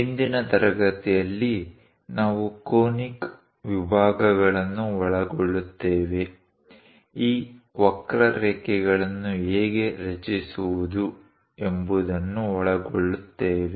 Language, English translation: Kannada, In today's class, I will cover on Conic Sections; how to construct these curves